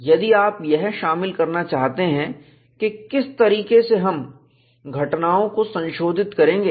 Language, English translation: Hindi, If you want to include that, what way we will have to modify the calculations